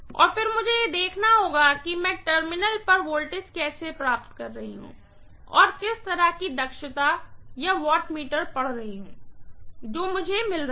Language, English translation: Hindi, And then I will have to see how I am getting the voltage at the terminal and what is the kind of efficiency or the wattmeter reading that I am getting, right